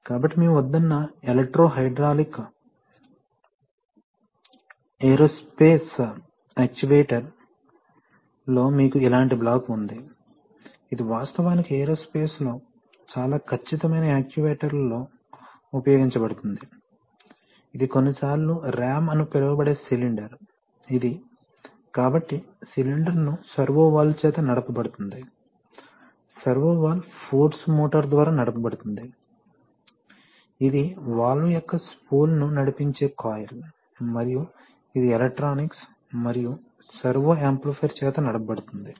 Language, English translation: Telugu, So in an electro hydraulic aerospace actuator you have, you have a, you have a similar block, so you use you can see that you have this is the final, say control surface, this is a typical actually used in aerospace very precision actuators, this is the cylinder which is sometimes called a ram, this is, so the cylinder is driven by a servo valve, the servo valve is driven by a force motor and the force motor, this is the coil which drives the spool of the valve and that is driven by a, by the electronics, and the servo amplifier